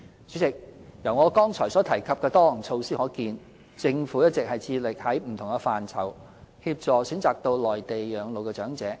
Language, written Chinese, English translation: Cantonese, 主席，由我剛才所提及的多項措施可見，政府一直致力在不同範疇協助選擇到內地養老的長者。, President as we can see from the various measures I have mentioned just now the Government has been making every effort in different areas to facilitate elderly people to reside on the Mainland if they so wish